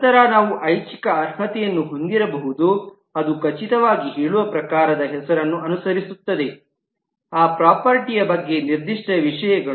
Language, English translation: Kannada, Then we may have an optional qualifier that follow that type name which say certain specific things about that property